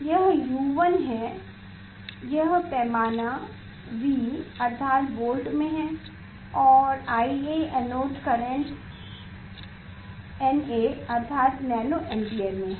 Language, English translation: Hindi, this is U 1 this scale is U 1 by V means in volt and this is IA anode current by nA means nano ampere in nano ampere